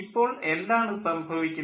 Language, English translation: Malayalam, what is happening